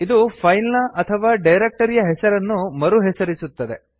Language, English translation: Kannada, It is used for rename a file or directory